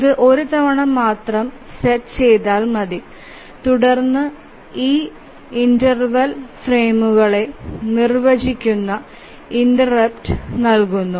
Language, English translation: Malayalam, So, it needs to be set only once and then keeps on giving interrupts at this interval defining the frames